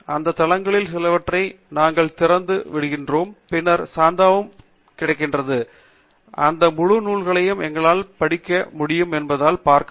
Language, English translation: Tamil, We will open up some of those sites, and then, see how we can capture those full texts that are available against subscription